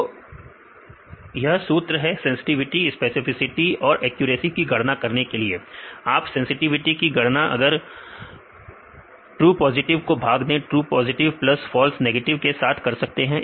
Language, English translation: Hindi, So, this is the formula to calculate the sensitivity specificity and accuracy; you can calculate sensitivity by true positive by the true positive plus false negative